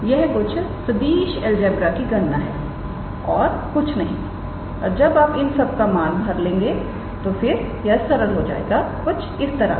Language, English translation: Hindi, It is just some vector algebra calculation nothing more and when you substitute all those things then it will simplify nicely into something like this